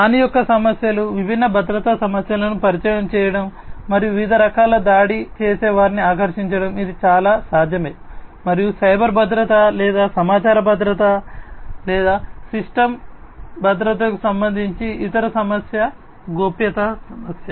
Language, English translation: Telugu, Issues of vulnerability, introducing different security issues and attracting different types of attackers, this is quite possible, and the other very related issue to the cyber security or information security or system secure, is the privacy issue